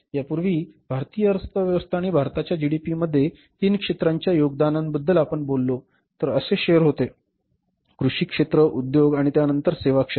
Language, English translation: Marathi, Means now in India earlier we had the shares like if you talk about the India's economy and the contribution of the three sectors in the GDP of India, agriculture sector, industries and then the services sector